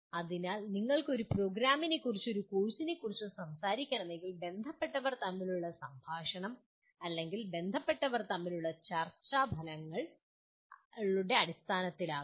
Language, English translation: Malayalam, So if you want to talk about a program or a course the conversation between the stakeholders or the discussion among the stakeholders can be in terms of outcomes